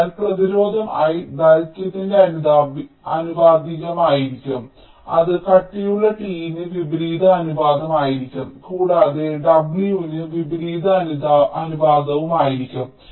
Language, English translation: Malayalam, so resistance will be proportional to l, the length, it will be inversely proportional to the thickness, t, and also inversely proportional to the width, w